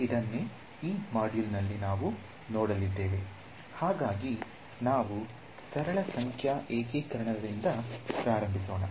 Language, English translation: Kannada, So, that is going to be the flow in this module, we start with simple numerical integration right